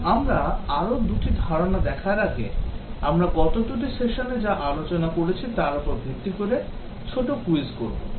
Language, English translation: Bengali, Now before we look at further concepts small quiz based on what we have discussed in the last two sessions